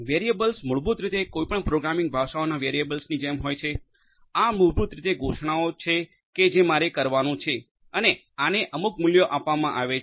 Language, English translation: Gujarati, Variables are basically like the variables in any programming languages, these are basically declarations that I that will have to be done and these will be assigned certain values right